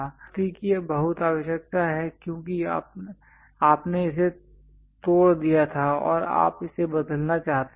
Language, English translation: Hindi, Repetition is very much required, because you broke it and you would like to replace it